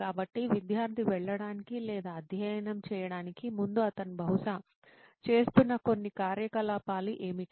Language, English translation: Telugu, So before student goes or starts studying what are some of the activities that he could probably be doing